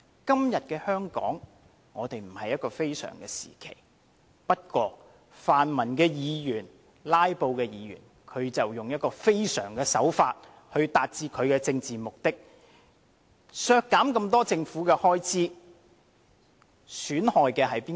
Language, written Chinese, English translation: Cantonese, 今天的香港並非處於非常時期，不過泛民及"拉布"的議員卻用了非常手法來達致其政治目的，削減這麼多政府開支，損害的是誰？, Today Hong Kong is not in any exceptional circumstances but pan - democratic Members have still adopted a very drastic means to achieve their political purposes proposing to reduce many types of government expenditure